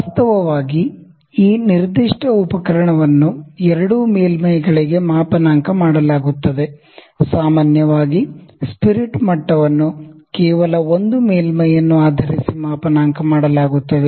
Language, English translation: Kannada, So, actually this specific instrument is calibrated for both the surfaces, in general spirit level is calibrated based on only one surface